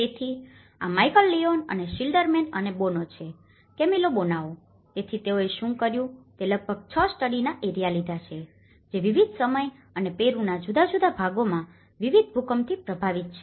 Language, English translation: Gujarati, So, this is Michael Leone and Schilderman and Boano; Camillo Boano, so what they did was they have taken about 6 study areas, which are affected by different earthquakes in different timings and different parts of Peru